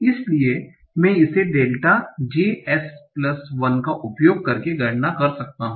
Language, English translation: Hindi, Say I want to compute delta j plus 1 s